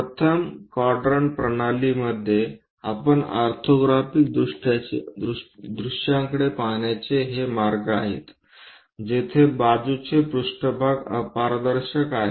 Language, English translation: Marathi, These are the ways we look at orthographic views in first quadrant system where the side planes are opaque